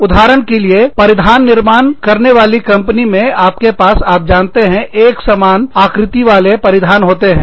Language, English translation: Hindi, For example, in garment manufacturing companies, you have, you know, you have cookie cut garments